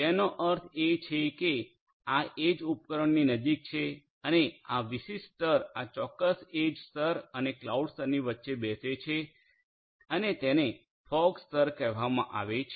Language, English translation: Gujarati, That means closer to this edge devices and this particular layer is going to sit between this particular edge layer and the cloud layer and that is called the fog layer